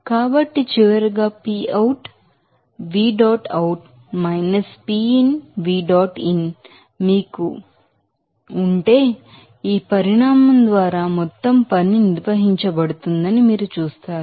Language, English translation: Telugu, So, finally, you can say that if you have this then you will see that total work will be defined by this quantity